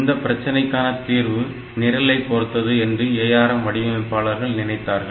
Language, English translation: Tamil, So, what this ARM people thought possibly is that it depends on the program